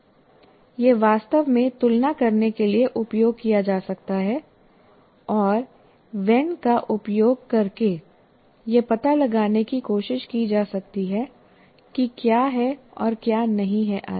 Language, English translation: Hindi, And that kind of thing can be used really to compare and try to explore what is and what is not by using Venn diagram